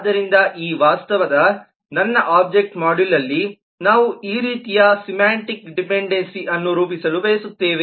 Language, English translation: Kannada, so in my object module of this reality we would like to model this kind of semantic dependency as well